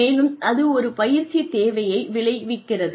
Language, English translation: Tamil, And, that results in a training need